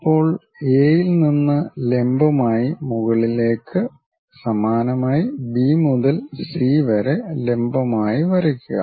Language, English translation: Malayalam, Now, from A drop a perpendicular all the way up; similarly, drop a perpendicular all the way from B to C